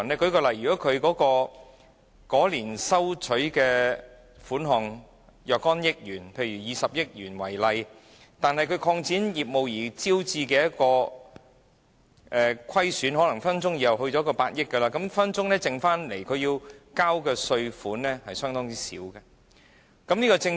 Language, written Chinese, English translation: Cantonese, 舉例來說，如經營者在某年的收入是若干億元，例如20億元，但在該年因擴展業務而招致的虧損可能隨時達到上百億元，那麼所需繳交的稅款隨時會大幅減少。, For instance if the amount of trading receipts produced by an operator in a year of assessment is 2 billion but the operating loss incurred as a result of business expansion in the same year has amounted to 10 billion the amount of tax payable for that year of assessment can be substantially reduced